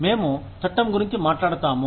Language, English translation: Telugu, We talk about the law